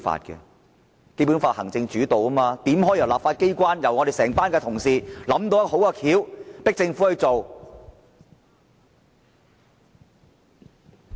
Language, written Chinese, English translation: Cantonese, 《基本法》是以行政主導，怎可以由立法機關、由我們整班同事想出好辦法迫政府做事？, The Basic Law upholds an executive - led regime . How could the regime be dictated by the legislature and be forced by Members to adopt their proposal?